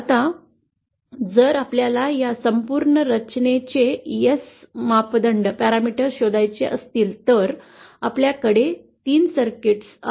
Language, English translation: Marathi, Now if we want to find out the ass parameters of this entire structure then we see that we have 3 circuits